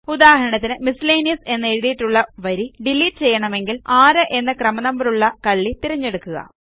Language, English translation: Malayalam, For example, if we want to delete the row which has Miscellaneous written in it, first select the cell which contains its serial number which is 6